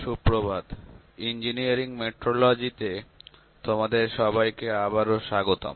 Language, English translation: Bengali, Good morning, welcome back to the course on Engineering Metrology; Dr